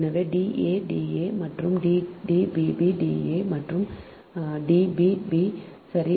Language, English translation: Tamil, so d a a is equal to d b, b is equal to d c c